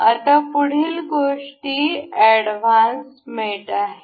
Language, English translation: Marathi, Now, the next things here is advanced mates